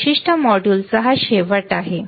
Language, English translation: Marathi, So, this is end of this particular module